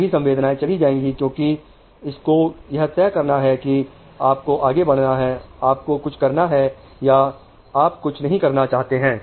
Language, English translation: Hindi, All senses go because it has to decide whether you are going to move, you are going to do something or you are not going to do something